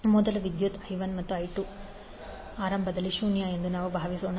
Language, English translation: Kannada, Now let us assume that first the current I 1 and I 2 are initially zero